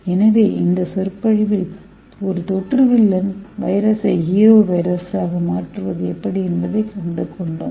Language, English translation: Tamil, So in this lecture we will learn how we have converted this villain virus which causes the infection to a hero virus